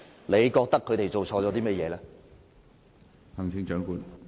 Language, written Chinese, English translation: Cantonese, 你覺得他們做錯了甚麼？, In her opinion what wrongs have they committed?